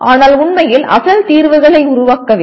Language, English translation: Tamil, But not actually creating the original solutions